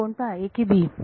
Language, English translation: Marathi, These are b